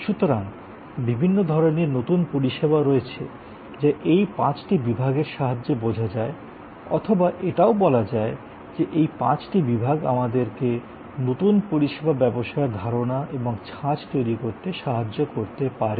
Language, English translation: Bengali, So, there are different kinds of new services which can be understood in terms of these five blocks or these five blocks can help us to generate new service business ideas and models